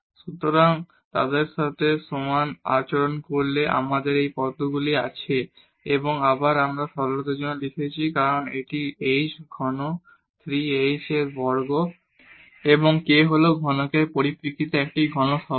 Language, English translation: Bengali, So, treating them equal we have these terms and again we have written for simplicity because this is like a cubic term in terms of h cubed 3 h square k 3 h k square and k is cube